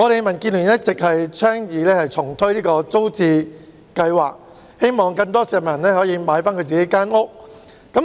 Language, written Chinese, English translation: Cantonese, 民建聯一直倡議重推租者置其屋計劃，希望讓更多市民可以購回自己的公屋單位。, The Democratic Alliance for the Betterment and Progress of Hong Kong DAB has all along advocated reintroducing the Tenants Purchase Scheme TPS in the hope that more people can buy their own PRH flats